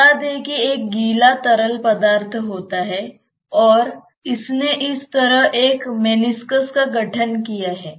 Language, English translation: Hindi, Let us say that there is a wetting fluid and it has formed a meniscus like this